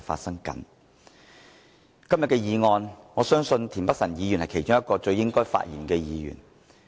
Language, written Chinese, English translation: Cantonese, 在今天的議案辯論，我相信田北辰議員是其中一位最應該發言的議員。, In todays motion debate I believe that Mr Michael TIEN is one of the Members who should express his views